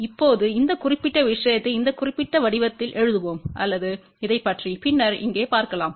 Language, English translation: Tamil, Now, let us write this particular thing in this particular form or you can look into later on this here